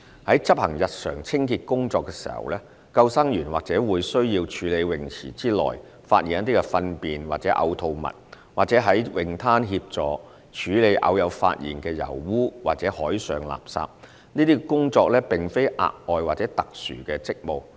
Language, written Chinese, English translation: Cantonese, 在執行日常清潔工作時，救生員或會需要處理泳池內發現的糞便或嘔吐物，或在泳灘協助處理偶有發現的油污或海上垃圾，這些工作並非額外或特殊職務。, In performing their daily cleansing work lifeguards may be required to clean up faeces or vomit found in swimming pools or assist in cleaning up oil spill or marine refuse occasionally found at beaches . Such work is not extra or unusual duties